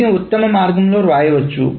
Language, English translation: Telugu, So this can be written in the best way